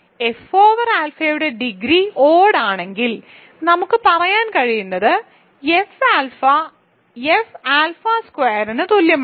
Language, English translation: Malayalam, If the degree of alpha over capital F is odd then what we can say is that F alpha is equal to F alpha squared